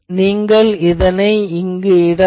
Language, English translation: Tamil, So, then you can put it here